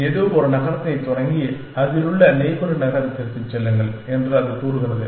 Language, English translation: Tamil, It says, started some city and go to the nearest neighbor